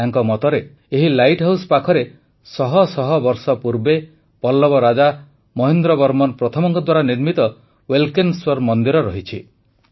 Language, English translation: Odia, He says that beside this light house there is the 'Ulkaneshwar' temple built hundreds of years ago by Pallava king MahendraVerman First